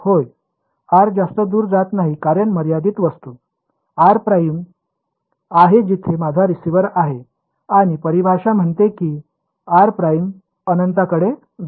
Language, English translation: Marathi, Yeah r does not go far because the finite object, r prime is where my receiver is and the definition says take r prime to infinity